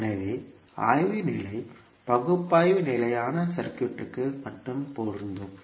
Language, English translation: Tamil, So the study state analysis is only applicable to the stable circuits